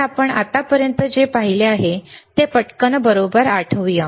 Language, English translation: Marathi, So, what we have seen until now, let us quickly recall right